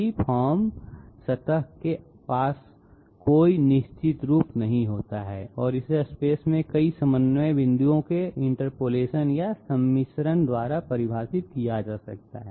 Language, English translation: Hindi, Free form surface does not possess any definite form and it may be defined by the interpolation or blending of several coordinate points in space